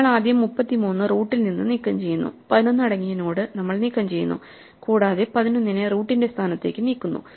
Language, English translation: Malayalam, So, we first remove the 33 from the root, we remove the node containing 11 and we move the 11 to the position of the root